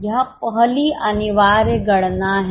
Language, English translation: Hindi, This is the first compulsory calculation